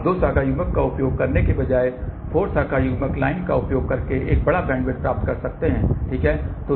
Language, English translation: Hindi, Now, instead of using two branch coupler one can get even a larger bandwidth by using 4 branch line coupler, ok